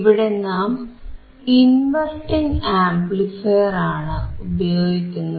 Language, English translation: Malayalam, Here we are using inverting amplifier